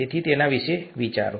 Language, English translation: Gujarati, So think about it